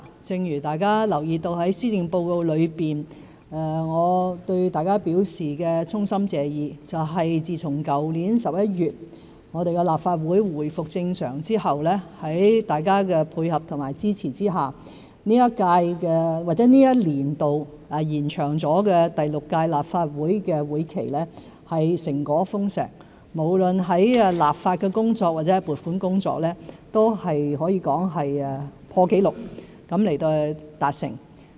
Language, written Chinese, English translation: Cantonese, 正如在施政報告內，我對大家表示衷心謝意，自從去年11月立法會回復正常後，在大家的配合和支持下，這一年度經延長的第六屆立法會會期成果豐碩，無論在立法或是撥款工作，也可以說是破紀錄地達成。, With the resumption of normal operation in the Legislative Council since November last year this extended year of the Sixth Legislative Council has seen fruitful outcomes with your cooperation and support . No matter for legislative or funding allocation efforts they can be said as achieved in a record - breaking manner